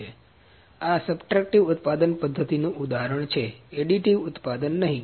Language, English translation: Gujarati, So, this is this is example of subtractive method not additive manufacturing